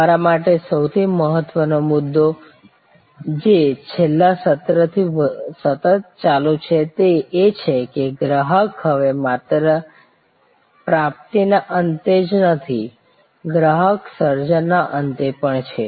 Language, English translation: Gujarati, The most important point for you to notice, which is coming as a continuation from the last session is that, customer is now not only at the receiving end, customer is also at the creation end